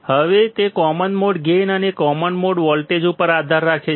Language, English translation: Gujarati, Now it will depend on the common mode gain and the common mode voltage